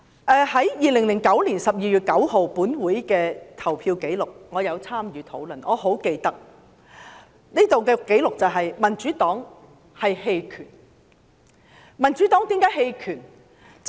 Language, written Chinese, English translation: Cantonese, 根據2009年12月9日本會的投票紀錄——我曾參與討論，因此很記得——民主黨投了棄權票。, According to the voting results recorded at the Council meeting on 9 December 2009―I remember very clearly as I had participated in the discussion―the Democratic Party had abstained from voting